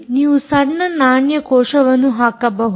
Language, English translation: Kannada, you can actually put small coin cell batteries